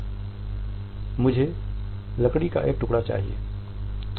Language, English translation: Hindi, I need a piece of wood